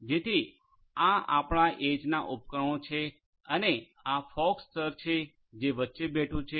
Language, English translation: Gujarati, So, these are your edge devices and this is this fog layer that is sitting in between